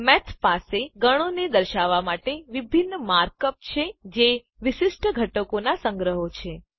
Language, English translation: Gujarati, Math has separate mark up to represent Sets, which are collections of distinct elements